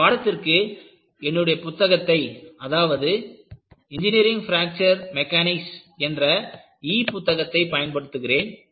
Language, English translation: Tamil, And, you know, for this course, I will be using my book on, e book on Engineering Fracture Mechanics